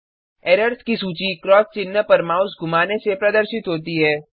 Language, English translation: Hindi, The list of errors is displayed by hovering the mouse over the cross mark